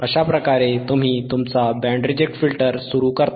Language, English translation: Marathi, So, this is your Band reject filter right